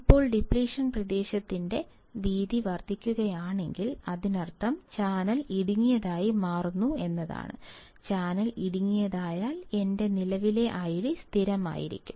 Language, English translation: Malayalam, Now, if the width of depletion region is increasing; that means, channel is becoming narrower; if channel becomes narrower, my current I D will be constant